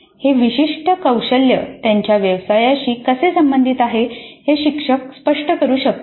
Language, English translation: Marathi, The instructor can explain how this particular competency is relevant to their profession